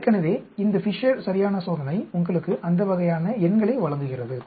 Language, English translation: Tamil, So, this Fisher’s exact test gives you that sort of numbers